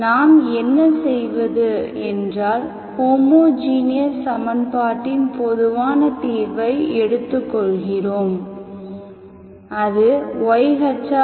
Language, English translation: Tamil, What we do is, we take the general solution of the homogeneous equation which is C1 y1 x plus C2 y2 x